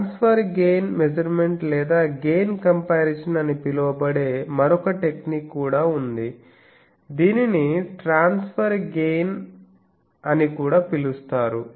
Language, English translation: Telugu, There is also another technique which is called transfer gain measurement or gain comparison also that is called transfer gain